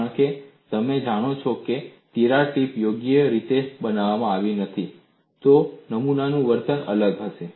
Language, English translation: Gujarati, That is what has happened to them because if the crack tip is not made properly, the specimen behavior would be different